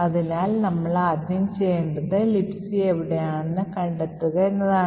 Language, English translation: Malayalam, Okay, so the first thing we need to do is find where libc is present